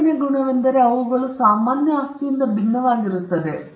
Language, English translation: Kannada, The second trait is that they are different from normal property